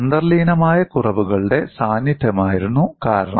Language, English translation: Malayalam, The reason was presence of inherent flaws